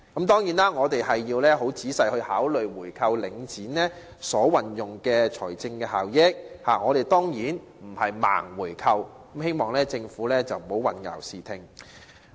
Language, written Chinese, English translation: Cantonese, 當然，我們亦需要仔細考慮購回領展的財政效益，而並非"盲回購"，我希望政府不要混淆視聽。, Certainly we also need to carefully consider the financial benefits of buying back Link REIT rather than buying it back blindly . I hope the Government will cease making misleading statements